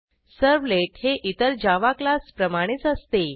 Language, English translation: Marathi, Notice that a servlet is just like any other Java class